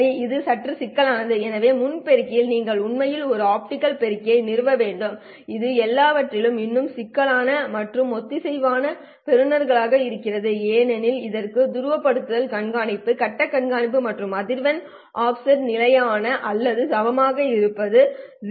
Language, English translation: Tamil, Pre amplifiers require you to actually install an optical amplifier which is even more complex and coherent receivers is a complex of all because it requires polarization tracking, phase tracking as well as the frequency offset being constant or equal to zero